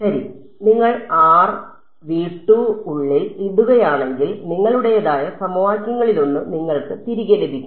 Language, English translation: Malayalam, Well yeah if you put r insider v 2 you will get back one of the equations you are